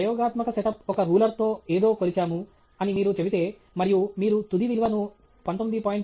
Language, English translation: Telugu, If you say my experimental set up is to measure something with a ruler and you give the final value as 19